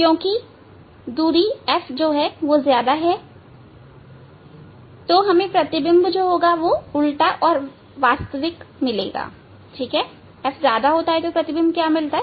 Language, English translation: Hindi, That image since distance is greater than F, we will get the inverted image and real image